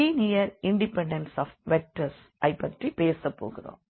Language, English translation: Tamil, So, what we have learnt today, it is about the linear independence of the vectors